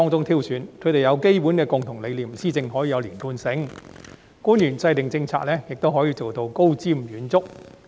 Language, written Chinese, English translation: Cantonese, 他們抱持基本的共同理念，施政可以有連貫性，官員制訂政策時亦可以高瞻遠矚。, He added that as they shared basic common convictions they could achieve policy coherence and the officials so selected could be visionary in formulating policies